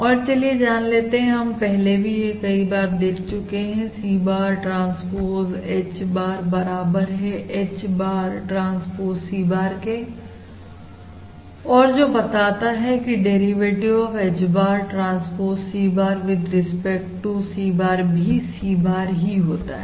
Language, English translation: Hindi, And therefore now I summarise this set of relations as the derivative of C bar transpose H bar with respect to H bar equals the derivative with respect to H bar, or H bar transpose C bar, and that is basically your and that is basically nothing but your C bar